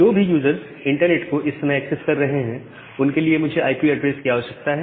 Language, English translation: Hindi, Now, the users who are accessing the internet at this moment for them, I require an IP addresses